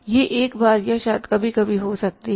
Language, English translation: Hindi, It can happen once or maybe sometime once in a while